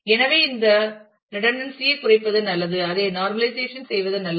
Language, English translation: Tamil, So, we would do well to reduce this redundancy and it would be good to normalize